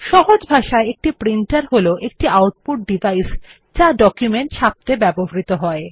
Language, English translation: Bengali, A printer, in simple words, is an output device used to print a document